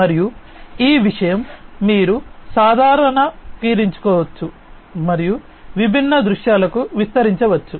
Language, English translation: Telugu, And this thing you can generalize and extend to different, different scenarios, likewise